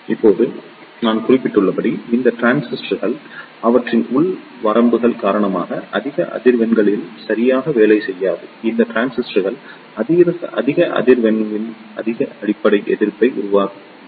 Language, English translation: Tamil, Now, as I mentioned these transistors do not work properly at higher frequencies due to their internal limitations like these transistors provide higher base resistance at the higher frequency